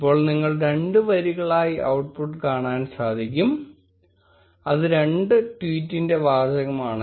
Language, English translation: Malayalam, Now you will see the output as two lines, which is the two tweet's text